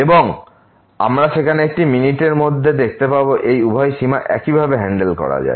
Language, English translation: Bengali, And we will see in a minute there these both limit can be handle in a similar fashion